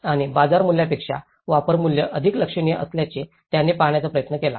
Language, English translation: Marathi, And he tried to see that the use value is more significant than the market value